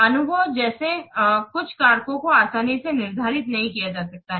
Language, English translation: Hindi, Some factors such as experience cannot be easily quantified